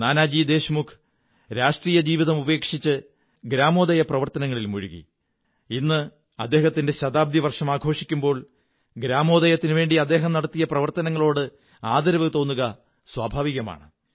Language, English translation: Malayalam, Nanaji Deshmukh left politics and joined the Gramodaya Movement and while celebrating his Centenary year, it is but natural to honour his contribution towards Gramodaya